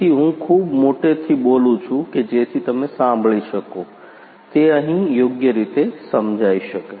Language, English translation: Gujarati, So, I can speak too much loudly so that you can hear so, that here correctly